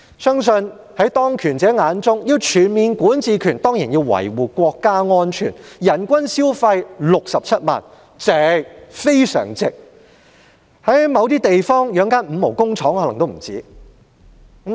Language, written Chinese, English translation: Cantonese, 相信在當權者眼中，要擁有全面管治權便當然要維護國家安全，人均消費67萬元是非常值得，因為在某些地方，要養活一間"五毛"工廠可能也不止此數。, I believe that in the eyes of those in power it is certainly worthwhile to safeguard national security by assuming full governance with a per capita spending of 670,000 . This is because in some places it probably costs far more to maintain a fifty cent factory